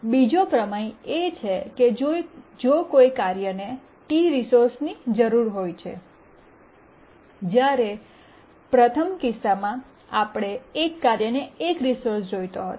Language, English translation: Gujarati, The second theorem is that if a task needs K resources, the first one we had looked at one resource needed by a task